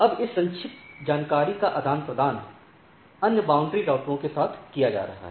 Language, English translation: Hindi, Now this summarized information are being exchanged with the other border routers right